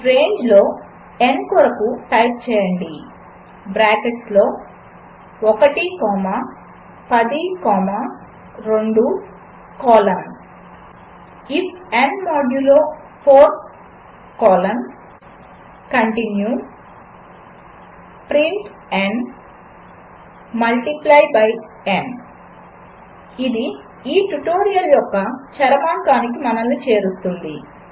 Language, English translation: Telugu, Type for n in range within bracket 2 comma 10 comma 2 colon if n modulo 4 colon continue print n multiply by n This brings us to the end of this tutorial